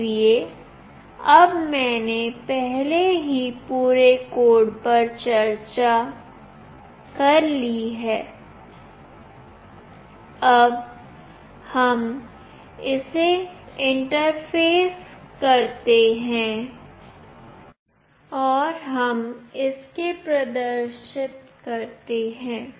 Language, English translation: Hindi, So now, that I have already discussed the whole code how do we interface it and how do we display it